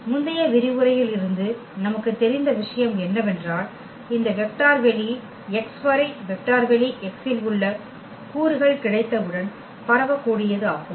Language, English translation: Tamil, What we know from the previous lecture that once we have the elements in vector space x which span this vector space x